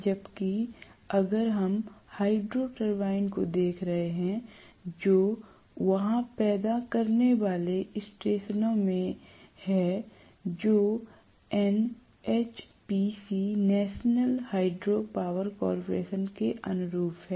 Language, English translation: Hindi, Whereas, if we are looking at Hydro turbine, which are there in generating stations, which correspond to NHPC National Hydro Power Corporation